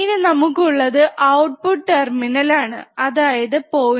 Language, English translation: Malayalam, Then we have the output terminal which is 0